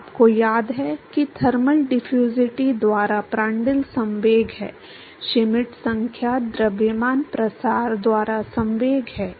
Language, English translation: Hindi, You remember Prandtl is momentum by thermal diffusivity Schmidt number is momentum by mass diffusivity